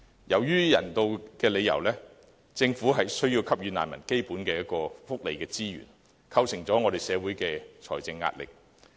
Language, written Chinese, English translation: Cantonese, 由於人道理由，政府需要給予難民基本福利支援，構成社會財政壓力。, Due to humanitarian reasons the Government needs to provide basic welfare support to these refugees which has become a financial burden to society